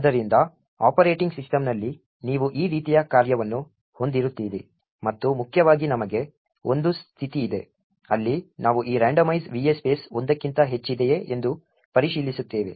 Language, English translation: Kannada, So, in the operating system you would have a function like this and importantly for us there is a condition, where we check whether this randomize va space is greater than one